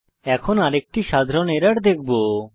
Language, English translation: Bengali, Now we will see another common error